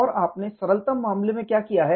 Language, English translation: Hindi, And the simplistic model was what we did